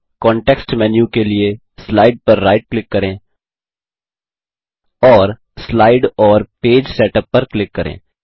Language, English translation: Hindi, Right click on the slide for the context menu and click Slide and Page Setup